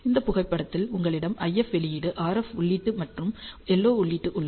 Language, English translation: Tamil, So, this is a photograph you have IF output RF input and LO input